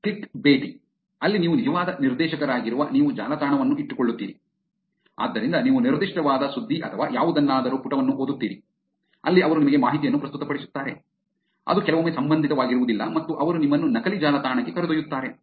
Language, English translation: Kannada, Clickbaiting, where you are actual director your keeping the website, so you go read a particular page of news or something, there they present you with information which is sometimes relevant sometime not relevant and they take you to a fake website